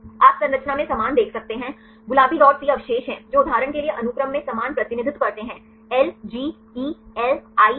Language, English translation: Hindi, You can see the same in the structure the pink dots these are the residues which represent the same in the sequence for example, LGELIH